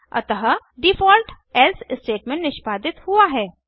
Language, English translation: Hindi, So, the default else statement is executed